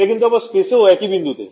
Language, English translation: Bengali, So, this is the same point in space